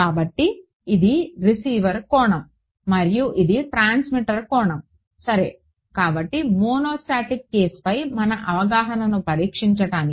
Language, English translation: Telugu, So, this is the R x angle and this is the T x angle ok, so, just to test our understanding of the monostatic case